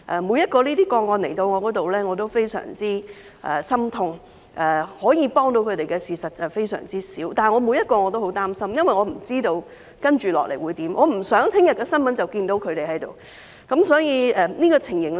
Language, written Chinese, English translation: Cantonese, 每宗個案來到我面前我都非常心痛，可以幫到他們的事非常少，每宗個案我都很擔心，因為我不知道接下來會怎樣，我不想在翌日的新聞便看到他們。, All these cases are very heartrending to me and not much can be done to help them . These cases also worry me a lot because I do not know what will happen next and I do not want to see them on the news the following day